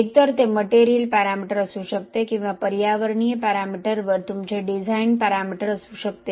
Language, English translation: Marathi, So it is associated with the… Either it could be a material parameter or it could be your design parameter on an environmental parameter